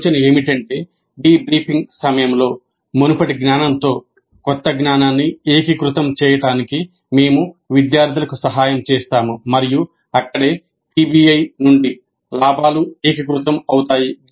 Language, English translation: Telugu, So the idea is that during the debriefing we help the students to integrate the new knowledge with the previous knowledge and that is where the gains from PBI get consolidated